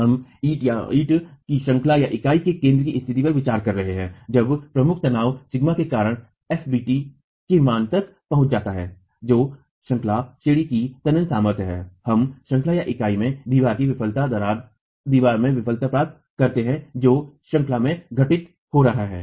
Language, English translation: Hindi, We are considering the condition at the center of the brick unit when the principal tension sigma 1 due to this reaches a value of FDT which is the tensile strength of the unit itself we get failure in the wall in the unit by the tension crack occurring in the unit